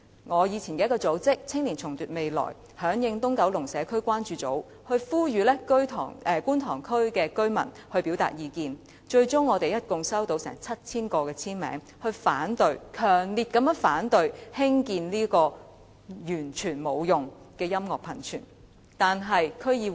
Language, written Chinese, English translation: Cantonese, 我以往的組織"青年重奪未來"響應"東九龍社區關注組"，呼籲觀塘居民表達意見，最終共收到約 7,000 個簽名，是強烈反對興建這個毫無用處的音樂噴泉。, Age of Resistance the organization to which I used to belong echoed the call from the Kowloon East Community to call on residents in Kwun Tong to express their views . They eventually received around 7 000 signatures expressing strong opposition to the construction of the useless music fountain